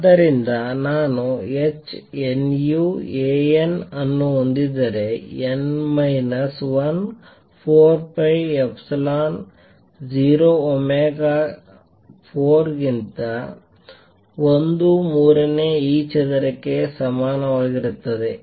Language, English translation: Kannada, So, if you do that I have h nu A n, n minus 1 is equal to 1 third e square over 4 pi epsilon 0 omega raise to 4